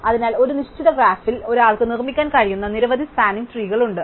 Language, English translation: Malayalam, So, there are many possible spanning trees that one can construct on a given graph